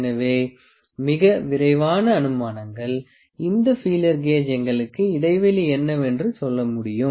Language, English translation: Tamil, So, very quick inferences, this feeler gauge can just tell us what is the gap